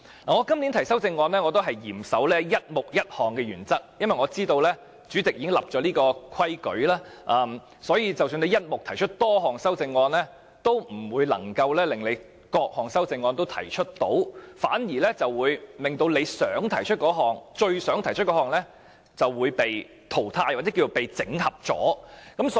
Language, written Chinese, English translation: Cantonese, 我今年提出的修正案也嚴守"一目一項"的原則，因為我知道主席已經訂立規矩，即使"一目"提出多項修正案，也不是各項修正案也能夠提出，反而令到最想提出的修正案被整合。, I have strictly adhered to the principle of one amendment to one subhead in proposing my amendments this year since I know that the President has laid down this rule . Even if you propose multiple amendments to a subhead you may not manage to have all the amendments admitted and may even end up having the amendment you want most to be admitted consolidated into other amendments